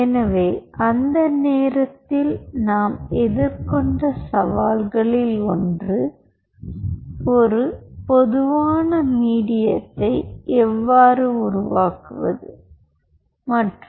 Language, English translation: Tamil, so one of the challenge, what we were facing at that point of time, was how to develop a common medium